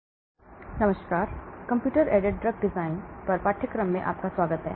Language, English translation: Hindi, Hello everyone, welcome to the course on computer aided drug design